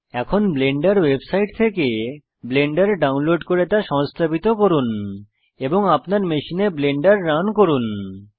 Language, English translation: Bengali, Now try to download Blender from the Blender website and install and run Blender on your machine